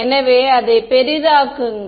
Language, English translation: Tamil, So, just make it bigger